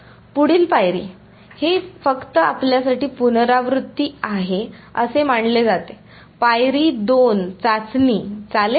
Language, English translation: Marathi, next step this just this supposed to be a revision for you step 2 would be testing